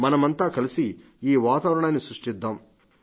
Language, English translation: Telugu, Let us all create such an atmosphere